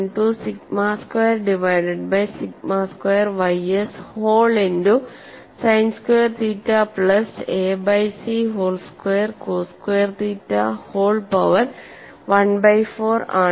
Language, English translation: Malayalam, 212 sigma squared divided by sigma square y s whole multiplied by sin square theta plus a by c whole square cos square theta whole power 1 by 4